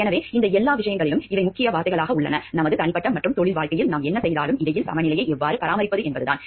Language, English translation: Tamil, So, these the key word in all these things are how to maintain a balance between whatever we are doing in our personal and professional life